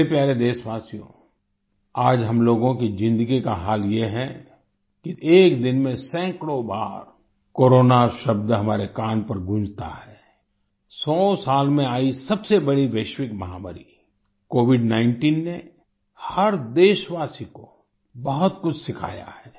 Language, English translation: Hindi, the condition of our lives today is such that the word Corona resonates in our ears many times a day… the biggest global pandemic in a hundred years, COVID19 has taught every countryman a lot